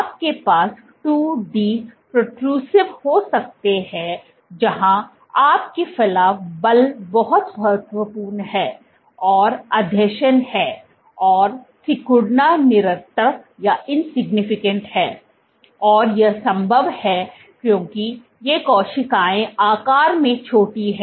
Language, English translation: Hindi, You can have 2 D protrusive where, your protrusion force is much significant and adhesion is there and contractility is insignificant, and this is possible because these cells are small in size